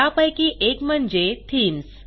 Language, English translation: Marathi, One of the customisation is Themes